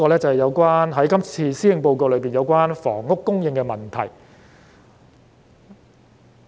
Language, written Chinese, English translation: Cantonese, 最後，我想談談今次施政報告中有關房屋供應問題的內容。, Finally I wish to talk about the section about housing supply in this Policy Address